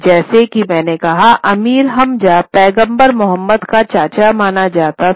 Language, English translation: Hindi, As I said, Amir Hamza was supposed to be an uncle of Prophet Muhammad